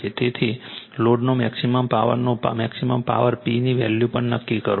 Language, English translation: Gujarati, So, maximum power to the load, determine the value of the maximum power P also right